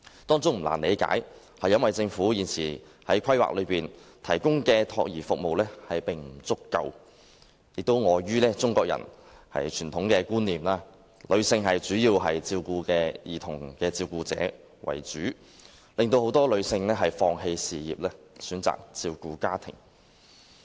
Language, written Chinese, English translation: Cantonese, 當中原因不難理解，因為政府現時提供的託兒服務不足，亦礙於中國人的傳統觀念，兒童主要由女性照顧，令很多女性放棄事業，選擇照顧家庭。, The reasons are not difficult to understand which include shortage of child care services currently provided by the Government and the traditional Chinese concept that children should be taken care of by mother . Therefore many women have given up their careers and stayed at home to take care of their families